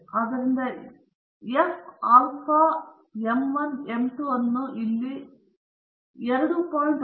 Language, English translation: Kannada, So, the f alpha m 1 m 2 is identified here to be 2